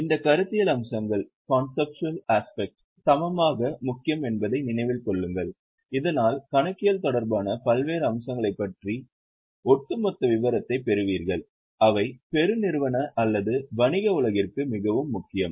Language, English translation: Tamil, Keep in mind this conceptual aspects are equally important so that you get overall idea of various aspects related to accounting and they are very much important for the corporate or business world